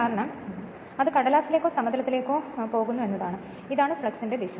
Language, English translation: Malayalam, Because it is going into the paper right or in to the plane and this is the direction of the flux